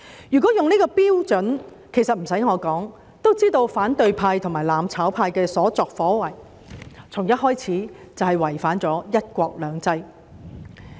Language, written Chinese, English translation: Cantonese, 如果以這標準，其實無須我多說，也知道反對派和"攬炒"派的所作所為，從一開始便違反了"一國兩制"。, If this is the standard it will be unnecessary for me to say much for people to know that what the opposition camp and the mutual destruction camp have been doing is against one country two systems from the very beginning